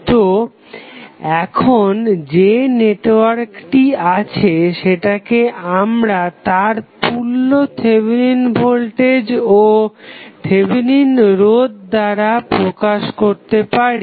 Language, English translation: Bengali, So, now, whatever the network we have, we can represent with its equivalent Thevenin voltage and Thevenin resistance